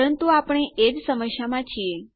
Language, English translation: Gujarati, but we have run into the same problem